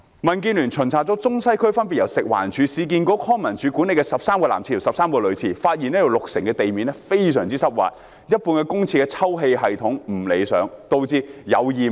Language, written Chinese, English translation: Cantonese, 民建聯巡查了中西區分別由食環署、市區重建局、康樂及文化事務處管理的13個男廁及女廁，發現有六成廁所的地面非常濕滑，一半公廁的抽氣系統不理想，導致有異味。, DAB has inspected 13 male and female public toilets respectively managed by FEHD the Urban Renewal Authority and the Leisure and Cultural Services Department in Central and Western District . It was found out that 60 % of the public toilets had very wet and slippery floors half of the toilets had odour problem due to poor ventilation systems . This situation is well known to the public